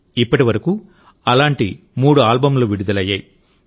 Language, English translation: Telugu, So far, three such albums have been launched